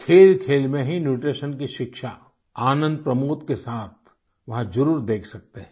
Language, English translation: Hindi, You can witness for yourselves nutrition related education along with fun and frolic